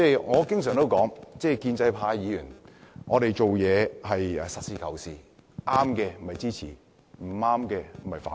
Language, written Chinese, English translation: Cantonese, 我經常說建制派議員做事是實事求是的，正確的會支持，不對的就會反對。, I always say that pro - establishment Members are practical and realistic . We will support whatever is right and disagree whatever is wrong